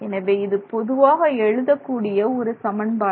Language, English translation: Tamil, So, this is the general way in which we write this